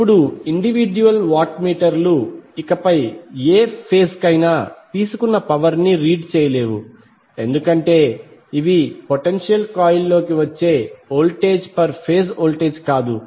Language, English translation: Telugu, Now, although the individual watt meters no longer read power taken by any particular phase because these are the voltage which is coming across the potential coil is not the per phase voltage